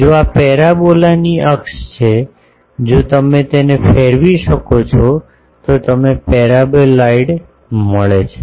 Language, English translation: Gujarati, If this is the axis of the parabola, if you revolve it you get the paraboloid